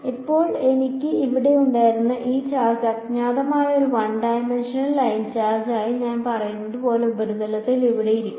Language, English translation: Malayalam, Now, this charge that I had over here the charge is sitting over here on the surface as I said as a one dimensional line charge that is the unknown